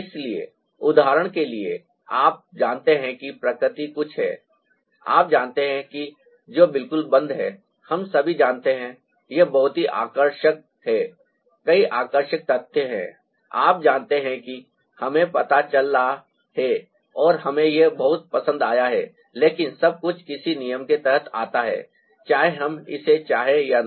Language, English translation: Hindi, so, for example, you know, nature is something you know which is ah, off course, we all know it's very fascinating ah, there are many fascinating facts that ah you know we come across and we liked it a lot, that everything falls on the sum rule, whether we want it ah or not